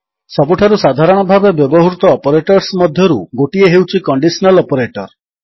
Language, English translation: Odia, One of the most commonly used operator is the Conditional Operator